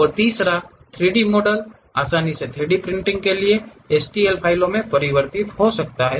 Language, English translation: Hindi, And the third one, the 3D models can readily converted into STL files for 3D printing